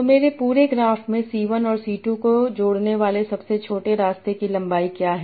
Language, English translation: Hindi, So what is the length, the shortest path that connects C1 and C2 in my whole graph